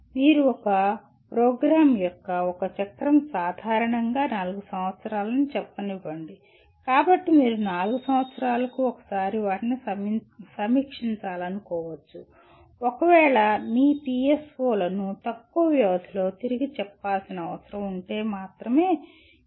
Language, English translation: Telugu, You may want to do it once in let us say one cycle generally of a program is four years, so you may want to review them once in 4 years unless there is some other urgency that requires to reword your PSOs in a lesser time period